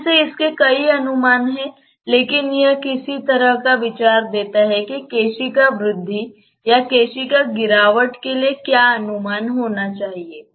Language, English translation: Hindi, Again this has many approximations, but it gives some kind of idea that what should be the estimation for capillary rise or capillary depression